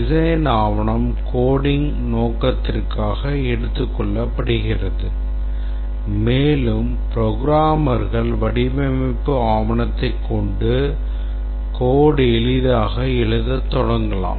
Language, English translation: Tamil, The design document can then be taken up and coding can start and our design document is good if the coders can just take it, the programmers can take it and can start writing the code easily